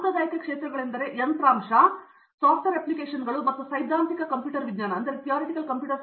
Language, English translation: Kannada, The traditional areas if you look they are hardware, software applications and theoretical computer science